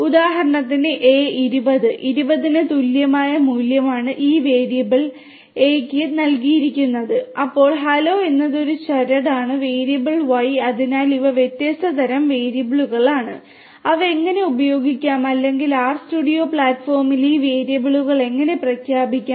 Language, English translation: Malayalam, So, for example, A equal to 20, 20 is the value that is assigned to this variable A, then hello is a string which is assigned this to the value of this is a value that is assigned to this variable X and true is a value that is assigned to this variable Y so these are the different types of variables and how they can be used in the or they can be declared how these variables can be declared in the RStudio platform